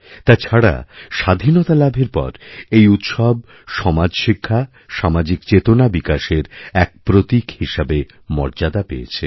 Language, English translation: Bengali, And after Independence, this festival has become a vehicle of raising social and educational awareness